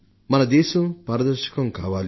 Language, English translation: Telugu, We have to make a transparent India